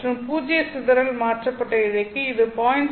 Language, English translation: Tamil, 5 percent for non zero dispersion shifted fiber and it will be around 0